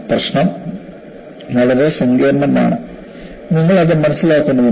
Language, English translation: Malayalam, The problem is very complex and you need to understand that